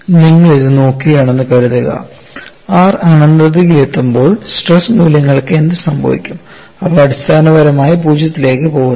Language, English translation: Malayalam, Suppose you look at this, when r tends to infinity what happens to the stress values, they essentially go to 0